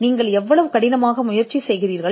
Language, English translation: Tamil, So, how hard you try